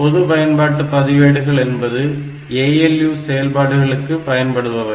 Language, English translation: Tamil, So, the general purpose register means, they are normally used for this ALU operation